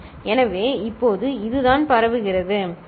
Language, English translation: Tamil, So, now this is what is getting transmitted, right